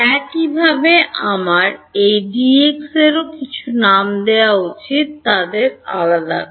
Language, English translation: Bengali, Similarly I should give some names to this D x is to distinguish them